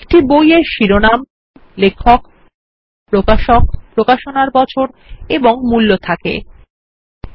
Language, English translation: Bengali, A book can have a title, an author, a publisher, year of publication and a price